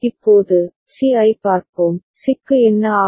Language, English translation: Tamil, Now, let us look at C, what happens to C